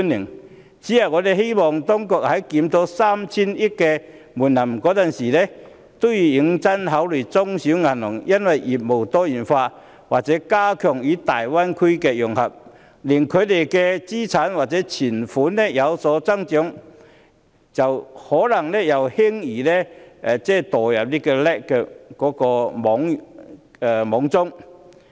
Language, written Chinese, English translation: Cantonese, 我只是希望當局在檢討 3,000 億元的門檻時，認真考慮中小型銀行因為業務多元化或加強與大灣區的融合，令資產或存款有所增長，可能又會輕易墮入 LAC 的網中。, My only hope is that when the authorities review the 300 billion threshold in future it will seriously consider the fact that small and medium banks may easily become a within scope financial institution subject to LAC requirements again since they have to increase their assets or deposits to provide a greater variety of services or better integrate with the Greater Bay Area